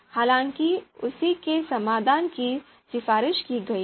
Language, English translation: Hindi, So the solution has been recommended